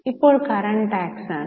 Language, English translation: Malayalam, Now this is a current tax